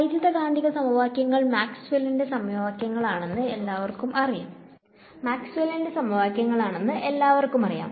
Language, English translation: Malayalam, Then the equations everyone knows that electromagnetic the equations are of are Maxwell’s equations